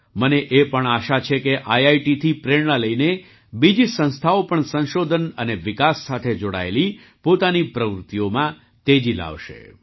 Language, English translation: Gujarati, I also hope that taking inspiration from IITs, other institutions will also step up their R&D activities